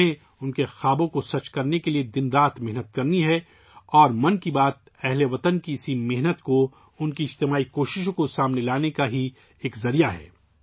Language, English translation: Urdu, We have to work day and night to make their dreams come true and 'Mann Ki Baat' is just the medium to bring this hard work and collective efforts of the countrymen to the fore